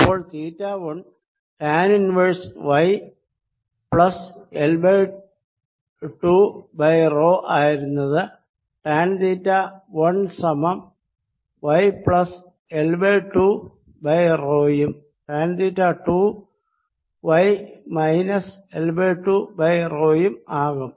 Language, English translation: Malayalam, in that case theta one which was equal to tan inverse, y plus l by two over rho become tan theta one equals y plus l by two over rho and tan theta two becomes y minus l by two over rho